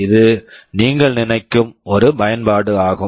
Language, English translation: Tamil, This is one application you think of